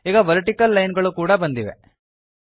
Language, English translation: Kannada, So now the vertical lines have also come